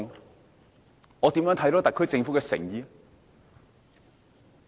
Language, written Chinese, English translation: Cantonese, 如何展現特區政府的誠意？, How can the SAR Government prove its sincerity?